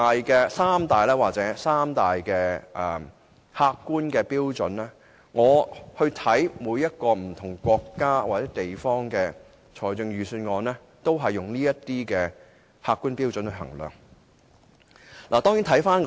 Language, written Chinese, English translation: Cantonese, 就這三大客觀標準，我參考過不同國家或地方的預算案，他們皆是用這些客觀標準來衡量的。, On these three major objective criteria I have looked at the budgets delivered by various countries or places and found that they invariably adopt such objective criteria in assessment